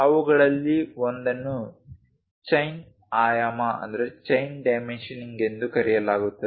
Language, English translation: Kannada, One of them is called chain dimensioning